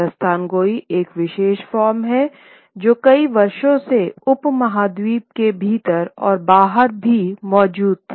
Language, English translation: Hindi, Dastan Goy is a particular form which did exist for many, many years within the subcontinent and even outside the subcontinent